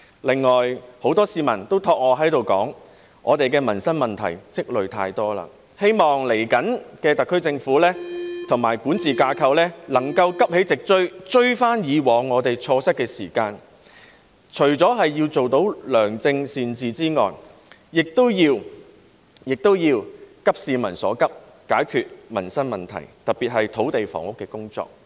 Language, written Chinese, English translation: Cantonese, 此外，很多市民都交託我在這裏說，我們已積累太多民生問題，希望特區政府和管治架構接下來能夠急起直追，追回以往錯失的時間，除了要做到良政善治外，也要急市民所急，解決民生問題，特別是土地房屋的工作。, Besides many people have asked me to say here that we have accumulated too many livelihood problems . It is hoped that the SAR Government with its governing structure will rouse itself to catch up and recover the time lost in the past . Apart from achieving good governance it should also share the urgent concern of the public and resolve the livelihood issues especially those of land and housing